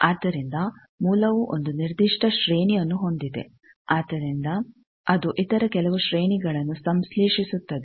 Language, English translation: Kannada, So, that the source was having a particular range from that it synthesizes some other ranges